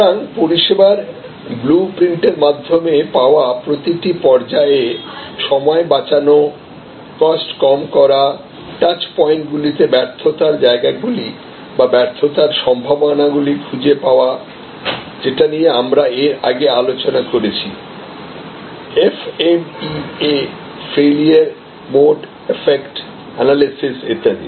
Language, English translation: Bengali, So, time saving, cost saving at every stage found through the service blue print, finding the failure points at the touch points or failure possibilities we discussed about that FMEA Failure Mode Defect Analysis, etc earlier